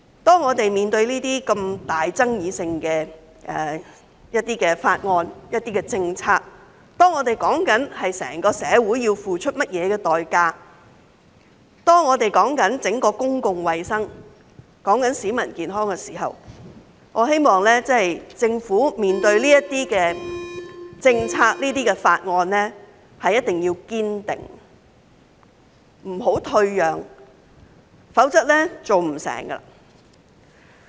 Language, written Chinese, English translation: Cantonese, 當我們面對爭議如此重大的法案和政策時，當我們討論的是關乎整個社會要付出甚麼代價，是關乎整體公共衞生及市民的健康的時候，我希望政府在處理這些政策和法案上，一定要堅定，不要退讓，否則是做不成的。, When we are faced with bills and policies that are so controversial when we are discussing what price the entire society have to pay and when it is about public health and the health of the people as a whole I hope the Government will stand firm and refrain from making concession in dealing with these policies and bills or else nothing can be accomplished